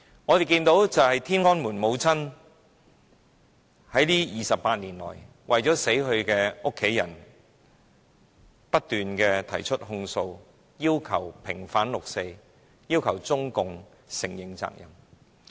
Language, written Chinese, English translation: Cantonese, 我們看到，"天安門母親"這28年來，為了死去的家人，不斷提出控訴，要求平反六四，要求中共承認責任。, As we have seen over the past 28 years the Tiananmen Mothers have been speaking up for their deceased family members requesting the vindication of the 4 June incident and demanding that CPC should admit responsibility